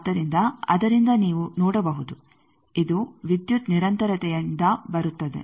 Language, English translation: Kannada, So, from that you can see this comes from the power continuity